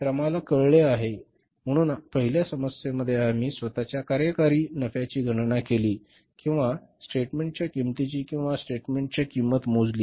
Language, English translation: Marathi, So in the first problem we calculated the operating profit itself in the cost of statement or statement of the cost